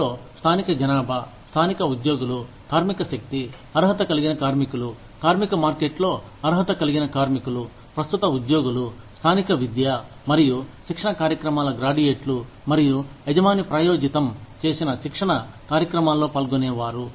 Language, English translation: Telugu, That include, local population, local employed workers, labor force, qualified workers, qualified workers in the labor market, current employees, graduates of local education and training programs, and participants in training programs, sponsored by the employer